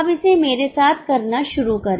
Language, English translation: Hindi, Now start doing it with me